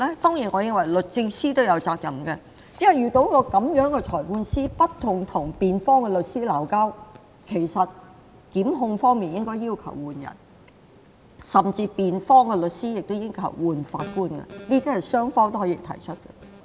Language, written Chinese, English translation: Cantonese, 當然，我認為律政司也有責任，因為遇到這樣不斷跟辯方律師爭吵的裁判官，檢控方面應該要求換人，甚至辯方律師亦應要求更換法官，雙方都可以提出。, Of course I think that the Department of Justice should also bear some responsibility because in case there was a magistrate who kept bickering with the defence counsel the prosecution should request a change of personnel or even the defence counsel should request another magistrate . Both parties could make the request